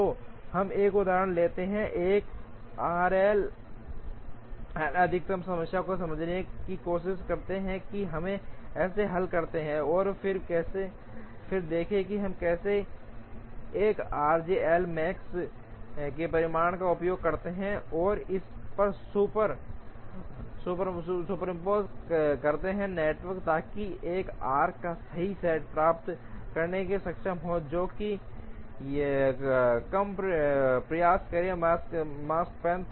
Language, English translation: Hindi, So, let us take an example, try to understand the 1 r j L max problem, how do we solve that and then see how we use results from 1 r j L max, and superimpose it on this network, so that we are able to get the correct set of arcs, that would try and give lesser makespan